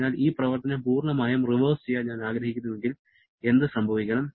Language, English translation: Malayalam, So, if I want to reverse this action completely, then what should happen